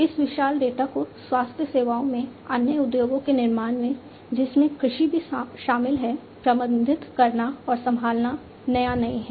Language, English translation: Hindi, To manage and handle this huge data in health services manufacturing other industries agriculture inclusive, is not new